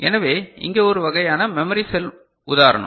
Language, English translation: Tamil, So, here is just one memory cell you know kind of example